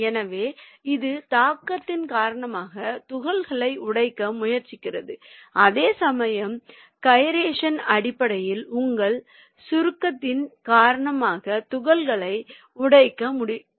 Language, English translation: Tamil, so it is basically trying to break the particles because of impact and whereas the gyration is basically trying to break the particles because of your compression